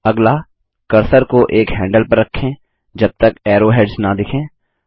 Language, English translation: Hindi, Next, place the cursor on one of the handles till arrowheads is visible